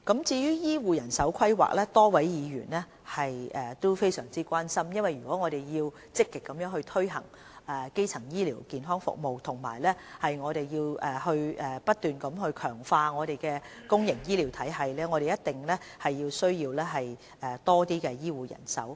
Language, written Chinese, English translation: Cantonese, 至於醫護人手規劃，多位議員都非常關心，因為如果我們要積極推行基層醫療健康服務，並不斷強化我們的公營醫療體系，我們一定需要更多醫護人手。, A number of Members have expressed concern about the planning for health care manpower . It is necessary to increase the health care manpower to cope with the manpower needs arising from the proactive implementation of the primary health care services and the continued enhancement to the public health care system